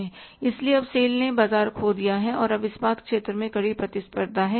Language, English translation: Hindi, So now the sale has lost the market and now there is a stiff competition in the steel sector